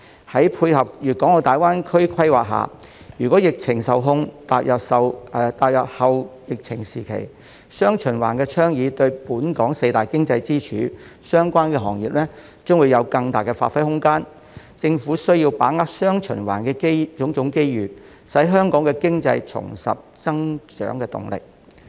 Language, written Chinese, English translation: Cantonese, 在配合粵港澳大灣區規劃下，如果疫情受控，踏入後疫情時期，"雙循環"倡議對本港四大經濟支柱相關行業將有更大的發揮空間，政府需要把握"雙循環"的種種機遇，使香港經濟重拾增長動力。, If we are able to contain the epidemic and enter the post - pandemic period under the planning for the Guangdong - Hong Kong - Macao Greater Bay Area GBA the dual circulation strategy will offer the four pillar industries of Hong Kong greater room for development . The Government needs to seize the various opportunities brought by the dual circulation so that our economy can regain its growth momentum